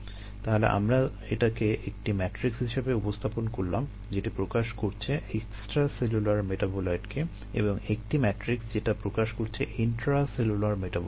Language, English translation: Bengali, so i represented this as a matrix that represent extracellular metabolite and a matrix that represent intracellular metabolite